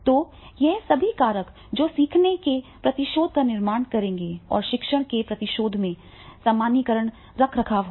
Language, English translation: Hindi, So, all these factors that will create the learning retention and in learning retentions, the generalization maintenance will be there